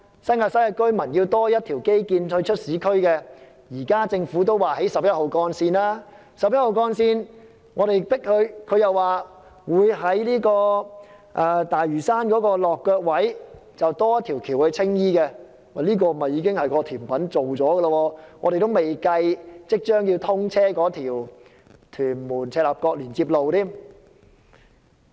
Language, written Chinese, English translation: Cantonese, 新界西居民想要多一條通道直達市區，現時政府已表示會興建十一號幹線，我們施加壓力後，政府又說會在十一號幹線的大嶼山落腳位多建一條橋往青衣，這已經是規劃好的一道甜品，而且還未計即將通車的屯門赤鱲角連接路。, The Government has said that Route 11 will be constructed and upon our pressure the Government has promised to construct one more bridge to Tsing Yi from the landing of Route 11 in Lantau . This dessert has already been planned . Besides there is also the Tuen Mun - Chek Lap Kok Link which is about to be commissioned